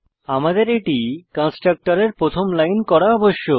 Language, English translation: Bengali, So we must make it the first line of the constructor